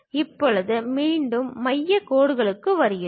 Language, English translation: Tamil, Now coming back to center lines